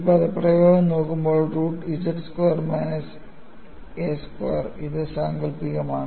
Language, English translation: Malayalam, And when you look at this expression, root of z squared minus a squared, this is imaginary